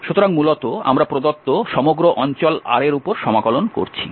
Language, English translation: Bengali, So, basically we are integrating over the whole given region R so that is a result